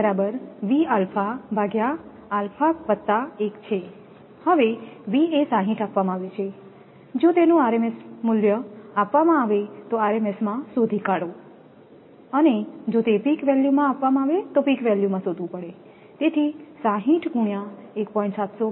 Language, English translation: Gujarati, So, V is 60 is given right, if it is given rms value find out in rms if it is peak value find out in peak value right, your 60 into alpha is 1